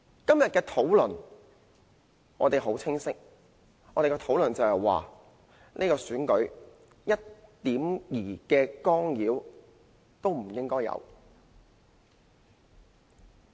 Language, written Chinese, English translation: Cantonese, 今天的討論，我們很清晰：這次選舉一丁點干預都不應該有！, Our stance in todays motion is clear . This election must be held without any interference whatsoever!